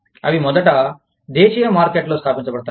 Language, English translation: Telugu, They first, gets established, in the domestic markets